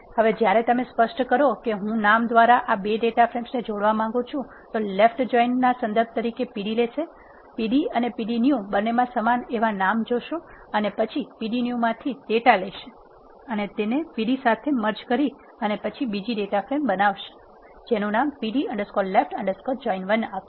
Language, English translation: Gujarati, Now, when you specify I want to join this 2 data frames by name, the left join it will take p d as a reference, look for the names that are common in both p d and p d new and then take the data from the p d new, and merge it with the p d and then create another data frame, which is given by this name p d left join 1